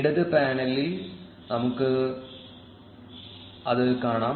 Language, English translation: Malayalam, We can see it there in the left panel